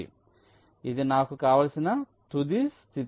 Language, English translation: Telugu, so this is my desired final state